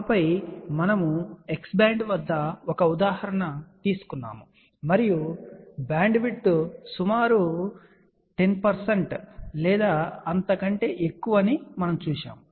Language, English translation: Telugu, And then we had taken an example at X band and we had seen that the bandwidth is of the order of around 10 percent or so